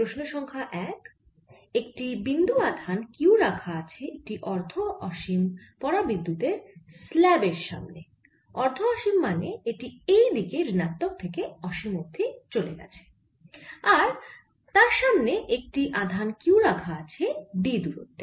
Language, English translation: Bengali, so question number one: a point charge q is in front of a dielectric semi infinite slab semi infinite means it's all the way going upto minus infinity on this side and there is a charge q in front of it at a distance d